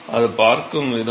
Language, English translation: Tamil, So, the way it looks at is